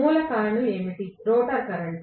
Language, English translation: Telugu, What is the root cause, rotor current